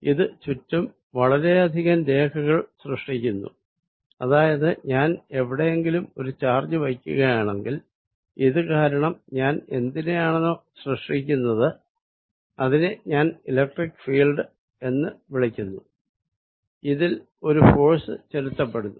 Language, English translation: Malayalam, It creates a lot of lines around it, so that if I put a charge somewhere, because of this whatever I have created which I am going to call the electric field, a force is applied on this